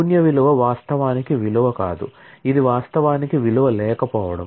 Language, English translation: Telugu, The null value is not actually a value; it is actually an absence of a value